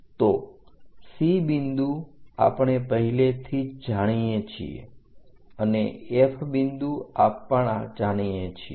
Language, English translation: Gujarati, So, C D line we already know this is C line and C point and D point already we know C D line